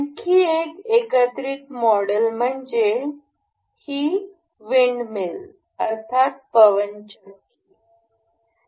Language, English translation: Marathi, Another assembled model is the this windmill